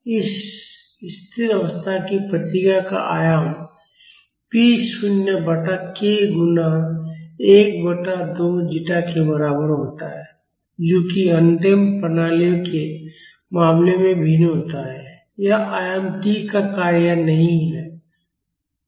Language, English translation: Hindi, The amplitude of this steady state response is equal to p naught by k multiplied by one by 2 zeta unlike in the case of undamped systems, this amplitude is not a function of t